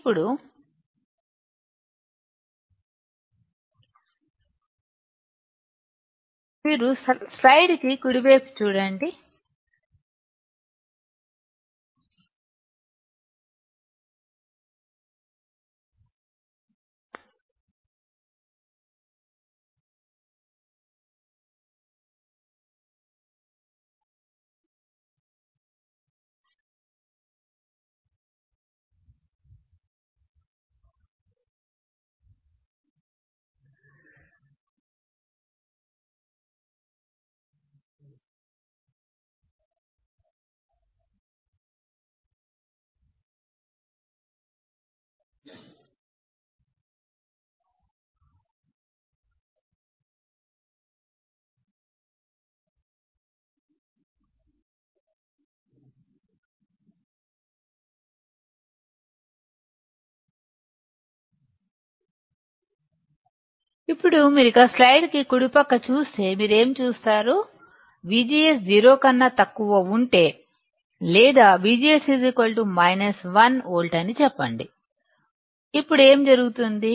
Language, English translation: Telugu, Now, if you see the right slide, of the slide, what do you see; if V G S is less than 0, or let us say V G S is minus 1 volt;